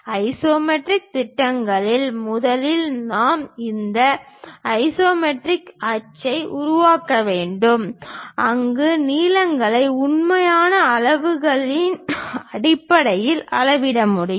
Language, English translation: Tamil, In isometric projections first of all we have to construct this isometric axis where lengths can be measured on true scale basis